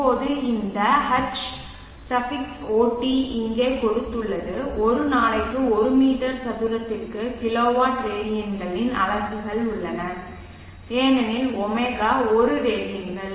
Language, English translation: Tamil, Now this HOT has given here has the units of kilo watt radians per meter square per day because